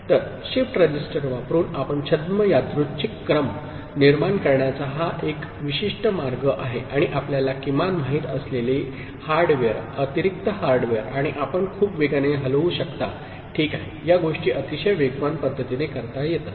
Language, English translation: Marathi, So, this is one particular way you can generate pseudo random sequence using shift register, and you require minimum you know, hardware you know, additional hardware and you can move very fast, ok; these things can be done in very fast manner